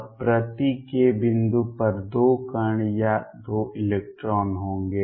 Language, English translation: Hindi, Then there will be 2 particles or 2 electrons per k point